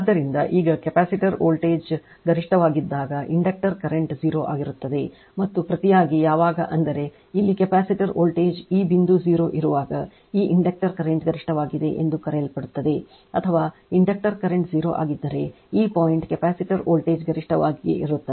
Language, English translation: Kannada, So, therefore, since when the now when the capacitor voltage is maximum the inductor current is 0 and vice versa when; that means, when capacitor voltage here it is this point 0 in this your what you call this inductor current is maximum or when inductor current is 0 this point capacitor voltage is maximum vice versa